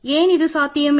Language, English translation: Tamil, Why is it not possible